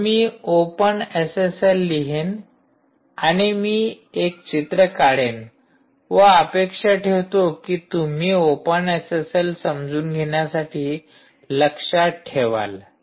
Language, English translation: Marathi, so i will write openssl, openssl, and i will put a picture which i expect that you will remember throughout ah, with respect to understanding openssl in